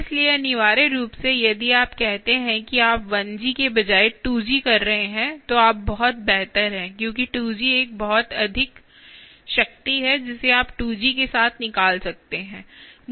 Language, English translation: Hindi, so essentially, if you say, ah, you are having a two g instead of one g, then you are much better off because two g is a lot more ah power that you can extract with two g